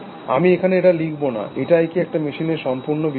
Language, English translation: Bengali, I am not going to write this here, is that complete enough definition of a machine